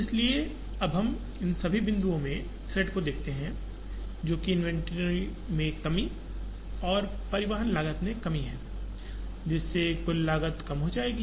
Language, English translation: Hindi, So, we can now see the thread in all these points, which is the reduction in the inventory and reduction in the transportation cost, which would reduce the total cost